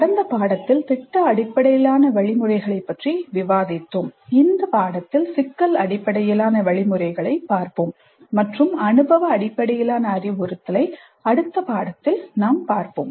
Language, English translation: Tamil, We discussed project based instruction in the last unit and we look at problem based instruction in this unit and experience based instruction we look at it in the next unit